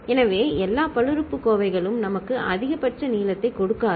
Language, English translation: Tamil, So, not all polynomials will give us maximal length